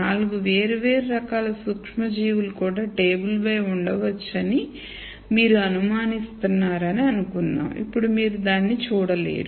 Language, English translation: Telugu, Let us assume that you suspect there could be four different types of microorganisms also that could be on the table, now you cannot see it